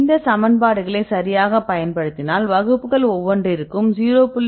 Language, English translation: Tamil, We use these equations right then you can get the correlation of 0